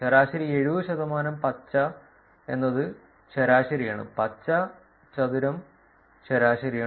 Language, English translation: Malayalam, Average 70 percent is that the green one is the average, the green square is the average